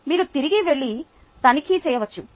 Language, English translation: Telugu, you can go back and check